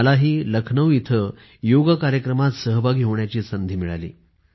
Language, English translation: Marathi, I too had the opportunity to participate in the Yoga event held in Lucknow